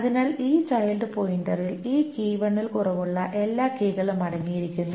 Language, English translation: Malayalam, So this child pointer contains all the keys that is less than this key one